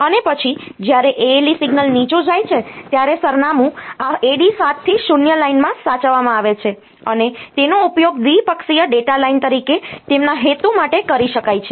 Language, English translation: Gujarati, And then the when the ALE signal goes low the address is saved in this AD 7 to 0 line, and that can be used for are their purpose as bidirectional data line